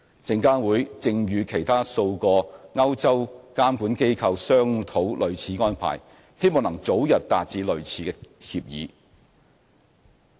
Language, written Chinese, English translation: Cantonese, 證監會正與其他數個歐洲監管機構商討類似安排，希望能早日達致類似協議。, SFC is now negotiating similar agreements with several other regulatory authorities in Europe with a view to entering into similar agreements with them as early as possible